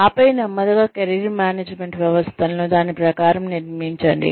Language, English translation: Telugu, And then, slowly build the Career Management systems, according to that